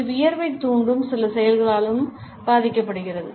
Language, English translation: Tamil, It is also influenced by certain activities which may be sweat inducing